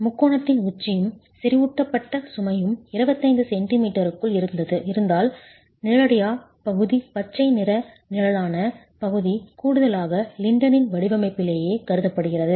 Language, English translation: Tamil, If the apex of the triangle and the concentrated load are within 25 centimeters then the shaded region, the green shaded region additionally is considered within the design of the lintel itself